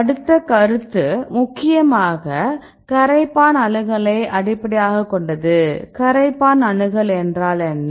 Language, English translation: Tamil, So, next is next concept its mainly based on solvent accessibility right what is solvent accessibility